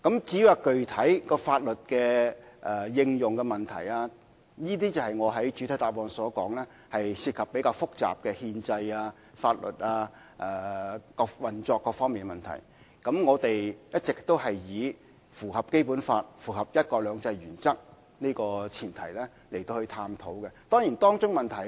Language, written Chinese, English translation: Cantonese, 至於具體如何應用法律，我在作出主體答覆時說過當中涉及比較複雜的憲制、法律及運作問題，而我們一直是在符合《基本法》及"一國兩制"的前提下進行商討。, Regarding how specifically the law is applied I said in my main reply that it involves rather complicated constitutional legal and operational issues and we have been conducting the discussion under the premise that the Basic Law and one country two systems principle are complied with